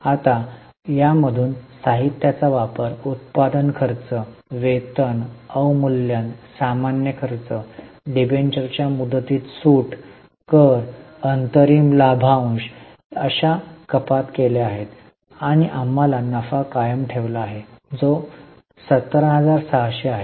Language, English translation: Marathi, Now from these there are deductions like consumption of material, manufacturing expenses, wages, depreciation, general expenses, discount on issue of debentures, tax, interim dividend and we have got profit retained which is 17,600